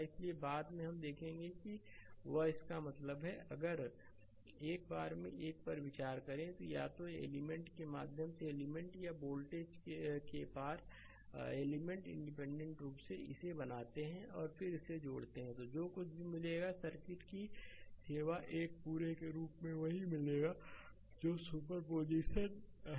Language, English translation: Hindi, So, later we will see and that; that means, if consider one at a time, then either current through element or voltage across element independently you make made it and then you then you add it up whatever you will get, you serve the circuit as a whole you will get the same thing right that that is super position